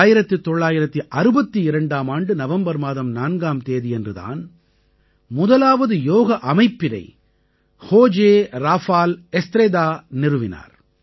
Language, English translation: Tamil, On 4th of November 1962, the first Yoga institution in Chile was established by José Rafael Estrada